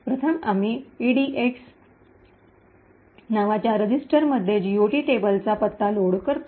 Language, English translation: Marathi, First, we load the address of the GOT table into this register called EDX